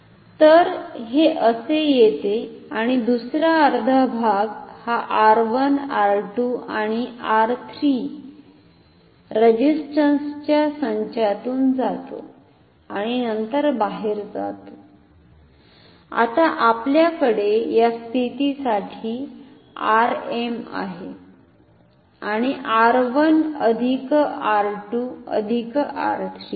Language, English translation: Marathi, So, it comes like this and goes out another half goes through the set of resistances R 1 R 2 and R 3 and then goes out so, now, we have so, for this position we have R m and R 1 plus 2 plus R 3 in parallel ok